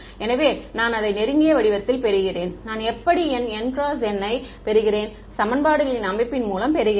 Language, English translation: Tamil, So, I get it in close form right that is how I get my N by N system of equations right